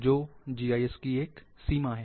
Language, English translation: Hindi, What are the limitations of GIS